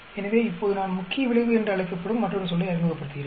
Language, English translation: Tamil, So, now I am introducing another term that is called main effect